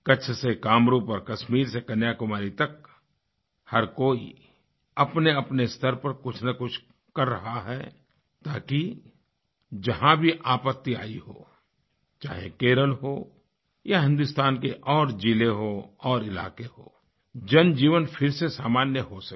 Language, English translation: Hindi, From Kutch to Kamrup, from Kashmir to Kanyakumari, everyone is endeavoring to contribute in some way or the other so that wherever a disaster strikes, be it Kerala or any other part of India, human life returns to normalcy